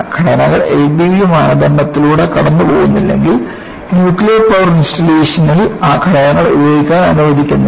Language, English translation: Malayalam, Unless the components go through L B B criterion, they do not permit those components to be utilized in nuclear power installation